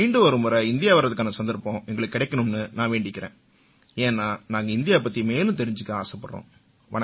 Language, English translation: Tamil, I request that we be given the opportunity to visit India, once again so that we can learn more about India